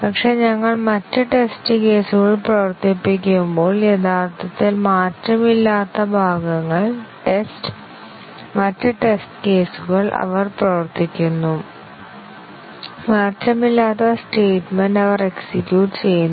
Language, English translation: Malayalam, But, when we run the other test cases, the parts that are not changed actually, the test, other test cases, they run; they execute statements that have not changed